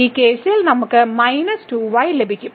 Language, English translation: Malayalam, So, in this case we have this 2 times